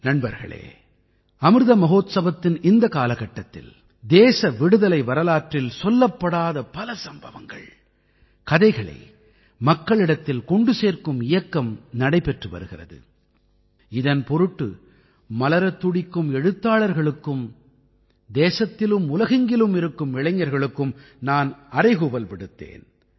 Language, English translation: Tamil, in this period of Amrit Mahotsav, a campaign to disseminate to everyone the untold stories of the history of freedom is also going on… and for this, upcoming writers, youth of the country and the world were called upon